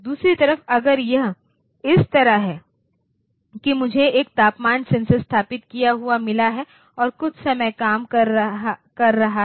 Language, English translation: Hindi, On the other hand if it is like this that I have got a temperature sensor installed and a while operating